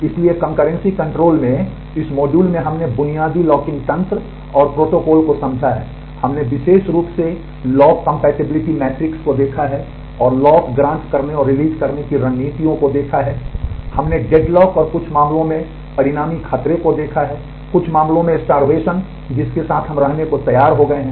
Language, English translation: Hindi, So, in this module on concurrency control we have understood the basic locking mechanism and protocols, we have specifically looked at the lock compatibility matrix and the strategies of granting and releasing locks and, we have seen the consequent danger of having deadlock and in some cases starvation, which we have agreed to live with